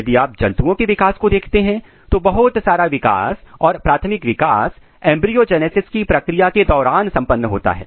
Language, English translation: Hindi, If you look the development of animals most of the development most of the primary development is completed during the process of embryogenesis